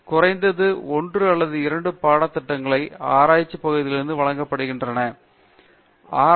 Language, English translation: Tamil, So, at least 1 or 2 courses are given from the research area so that they will be going faster